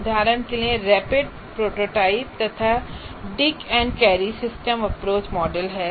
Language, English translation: Hindi, There is one is called Dick and Carey Systems Approach model